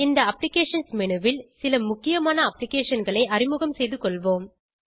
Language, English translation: Tamil, In this Applications menu, let us get familiar with some important applications